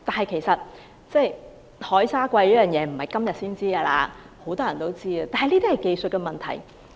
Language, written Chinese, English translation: Cantonese, 其實海沙貴已不是今時今日的事，很多人都知道，但這是技術問題。, The issue of sea sand being expensive does not happen today; many people are aware of it but that is a technical problem